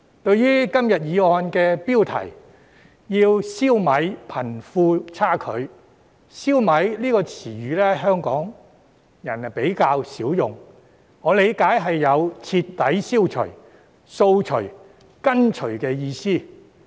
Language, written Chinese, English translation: Cantonese, 在今天議案的標題"消弭貧富差距"中，"消弭"一詞香港人較少用，我理解是有徹底消除、掃除和根除的意思。, In the motion title eradicating disparity between the rich and the poor today the word eradicating is not quite so commonly used by Hong Kong people . As far as I understand it it means thoroughly eliminating removing and uprooting